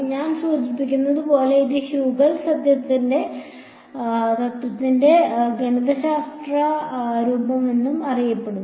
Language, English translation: Malayalam, This as I mentioned was is also known as the mathematical form of Huygens principle